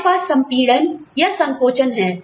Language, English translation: Hindi, We have pay compression